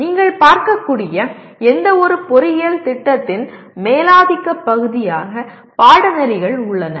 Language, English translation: Tamil, Courses constitute the dominant part of any engineering program as you can see